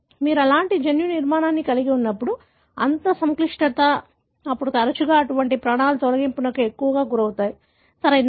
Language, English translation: Telugu, When you have such kind of genomic architecture, such complexity, then more often, such regions are more prone for deletion, right